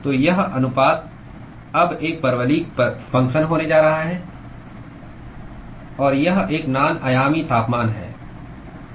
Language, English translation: Hindi, So, this ratio is now going to be a parabolic function; and this is a non dimensional temperature